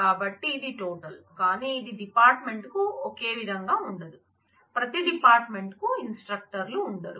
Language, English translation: Telugu, So, it is total, but it is not the same for the department, every department will not have instructors